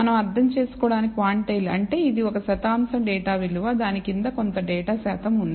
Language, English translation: Telugu, Just to recap what do we mean by quantile it is a percentile data value below which a certain percentage of data lies